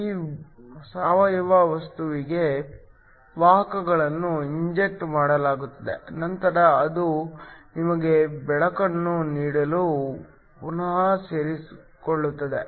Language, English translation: Kannada, Carriers are injected into this organic material, which then recombine to give you light